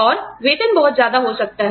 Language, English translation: Hindi, And, the salaries may be too much